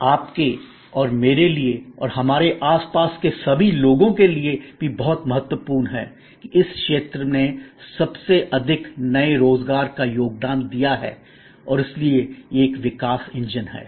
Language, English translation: Hindi, Also very important for you and for me and for all of us around, that this sector has contributed most new employments and therefore this is a growth engine